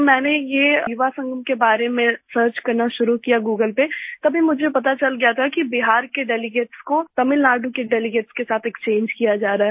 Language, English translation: Hindi, When I started searching about this Yuva Sangam on Google, I came to know that delegates from Bihar were being exchanged with delegates from Tamil Nadu